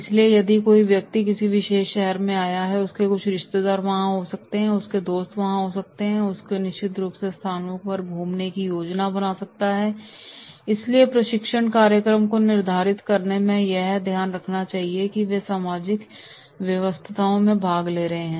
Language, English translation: Hindi, So if somebody has come to a particular city he may have certain relatives, he may have certain friends, he might be planning to visit certain places so in scheduling the training program this is to be kept in mind that they are attending the social engagements